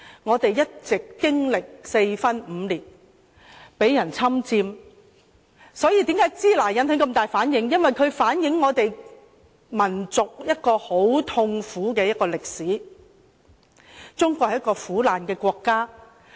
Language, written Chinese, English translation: Cantonese, 中國一直經歷四分五裂，被人侵佔，所以為甚麼說"支那"會引起那麼大的反應，因為這詞語反映了我們民族一段很痛苦的歷史，令人想起中國是一個很苦難的國家。, China had been divided and occupied and this explains why shina had created such strong reactions as the word reflects a painful episode in the history of our people reminding us that China was a suffering country